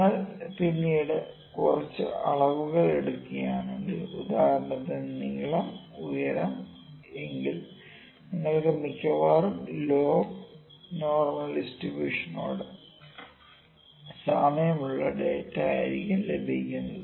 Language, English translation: Malayalam, So, if you are performing some measurements later finite and for instance length, height, weight you are most likely going to end up with the data that resembles in log normal distribution